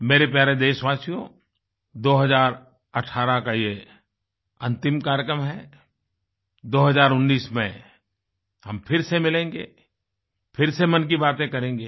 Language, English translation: Hindi, My dear countrymen, this is the last episode of the year 2018, we will meet again in 2019, and will engage in another episode of Mann Ki Baat